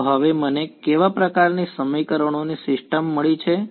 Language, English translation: Gujarati, So, what kind of a sort of system of equations have I got now